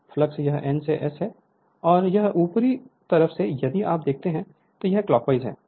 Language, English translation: Hindi, The flux this is your N to S it is going and this upper side if you see this is your this is clockwise